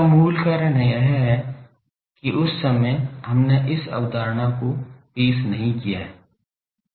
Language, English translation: Hindi, The reason is basically that time we have not introduced this concept